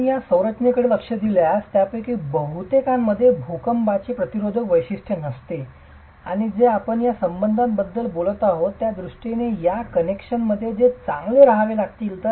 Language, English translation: Marathi, If you look at these structures, most of them will not have any seismic resistance feature in terms of what we are talking of these ties, these connections which have to be good and so on